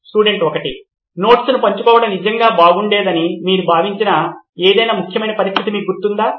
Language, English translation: Telugu, Can you remember of any important situation where you felt sharing of notes would have been really nice